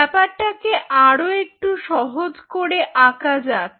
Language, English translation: Bengali, lets draw it simple much more